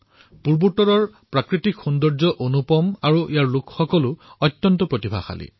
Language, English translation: Assamese, The natural beauty of North East has no parallel and the people of this area are extremely talented